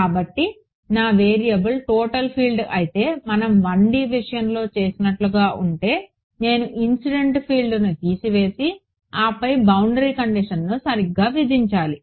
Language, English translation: Telugu, So, if my variable is total field like we are done in the case of 1D I have to subtract of the incident field and then impose the boundary condition right